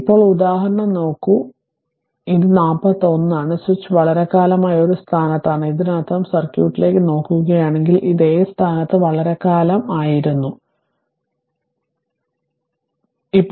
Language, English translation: Malayalam, So, now look the example, so in in ah figure this is 41, the switch has been in a position a for long time thism that means, if you look into the circuit that, this is this was in this position for long time at position A, this is A right